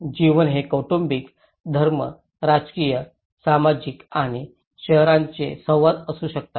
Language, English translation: Marathi, It could be family, religion, political, social and neighbourhood interactions